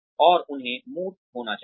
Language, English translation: Hindi, And, they should be tangible